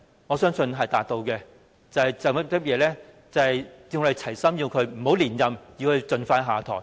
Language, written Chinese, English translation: Cantonese, 我相信是達到了，因為我們"齊心"要求他不要連任，盡快下台。, I suppose he has because we are all of one heart in asking him to step down and not to seek re - election